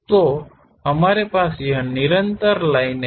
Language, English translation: Hindi, So, we have this continuous lines material